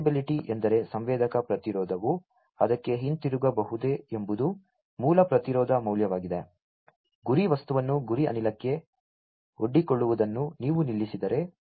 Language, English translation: Kannada, Reversibility is whether the sensor resistance can return back to it is base resistance value; if you stop the exposure of the target material to the target gas